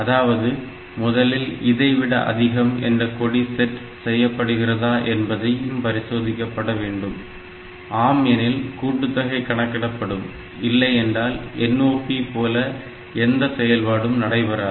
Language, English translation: Tamil, So, it will check whether the greater than flag is set or not so, if the greater than flag is set then only this addition will be done otherwise it is same as the NOP no operation